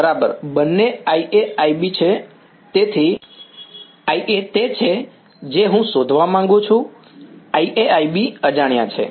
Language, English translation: Gujarati, Both I A exactly right; so, I A that is what I want to find out I A and I B are unknown